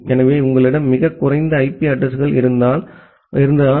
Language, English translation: Tamil, So, that is why if you have a very few public IP addresses